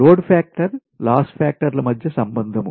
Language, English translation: Telugu, so relationship between load factor and loss factor